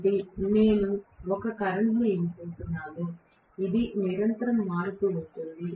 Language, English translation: Telugu, So, field I am going to give maybe a current, which is continuously varying